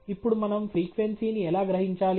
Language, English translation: Telugu, Now, how do we extract the frequency